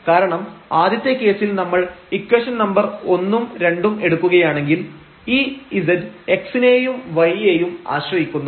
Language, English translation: Malayalam, Because in this first case when we are taking equation number 1 and equation number 2 then this z depends on x and y, but the x and y again depends on t